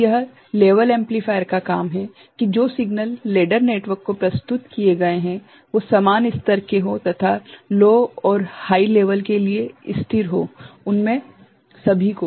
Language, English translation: Hindi, So, this is the job of the level amplifier that signals presented to the ladder network are of same level and constant for low and high so, all of them